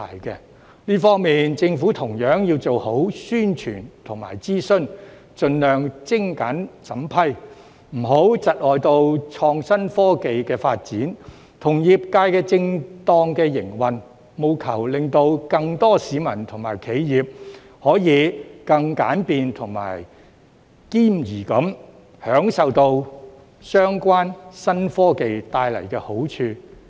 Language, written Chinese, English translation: Cantonese, 在這方面，政府同樣要做好宣傳和諮詢，盡量精簡審批，不要窒礙創新科技的發展，以及業界的正當營運，務求令更多市民和企業，可以更簡便和兼宜地享用相關新科技帶來的好處。, In this regard the Government should also do a good job in publicity and consultation and streamline the approval process as far as possible so as not to hinder the development of innovative technologies and the proper operation of the sector and enable more people and enterprises to enjoy the benefits of the new technologies in a more convenient and compatible manner